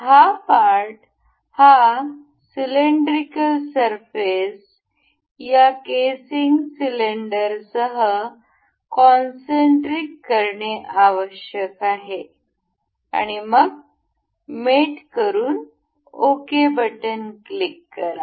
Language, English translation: Marathi, This part, this cylindrical surface needs to be concentrated with this casing cylinder and will mate it up, click ok, nice